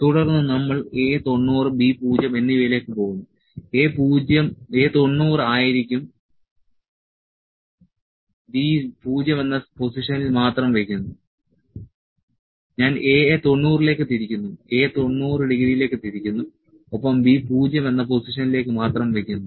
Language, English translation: Malayalam, So, then we go for A 90 and B 0, A would be 90, B is kept at 0 position only, let me turn A to 90, A is turned to 90 degree and B is at 0 position only